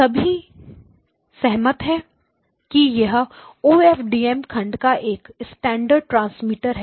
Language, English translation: Hindi, Everyone agree that this is the standard transmitter of an OFDM block, okay